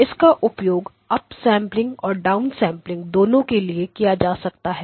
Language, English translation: Hindi, Now this can be used both for up sampling and it can be used for down sampling